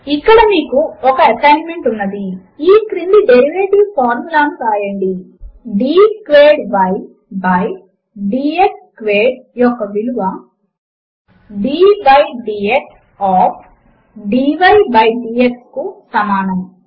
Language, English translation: Telugu, Here is an assignment for you: Write the following derivative formula: d squared y by d x squared is equal to d by dx of